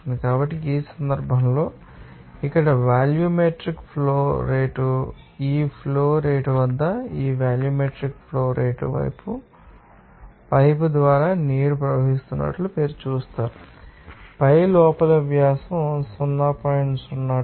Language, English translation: Telugu, So, in this case, you will see that it is given that what will the volumetric flow rate here, this volumetric flow rate at this flow rate you will see that water is flowing through the pipe for us inner diameter of the pipe is given to you that is 0